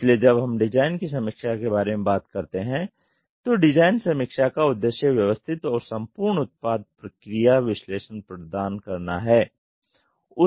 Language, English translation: Hindi, So, when we talk about design review the purpose of design review is to provide systematic and thorough product process analysis